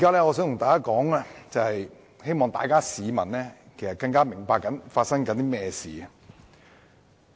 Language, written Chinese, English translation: Cantonese, 我現在發言是希望市民更清楚明白正在發生甚麼事情。, I have risen to speak in the hope of making the public know more clearly about what is going on